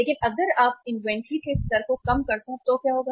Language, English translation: Hindi, But if you lower down the inventory level, so what will happen